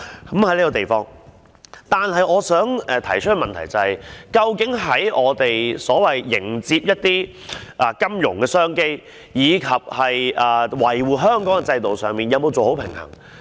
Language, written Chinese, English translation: Cantonese, 然而，我想提出一個問題，究竟我們在迎接金融的商機，以及維護香港的制度的同時，有否做好保持平衡的工作？, However I wish to raise a question here . Has a balance been struck between welcoming new business opportunities in the financial market and safeguarding Hong Kongs system?